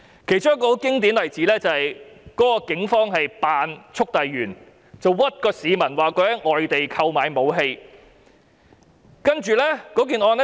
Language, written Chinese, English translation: Cantonese, 其中一個很經典的例子是警方喬裝速遞員，冤枉市民在外地購買武器。, A typical case is that a policeman disguised himself as a courier and wrongly accused a person of purchasing weapons from overseas